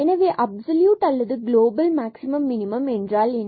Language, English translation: Tamil, So, what is the absolute or the global maximum minimum